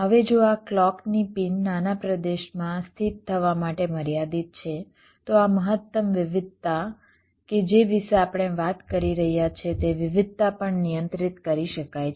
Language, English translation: Gujarati, now, if this clock pins are constrained to be located within a small region, then this maximum variation that we are talking about, that variation can also be controlled